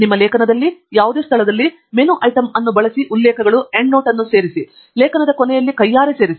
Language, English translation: Kannada, At any location in your article use the menu item References, Insert Endnote to insert a reference detail at the end of the article manually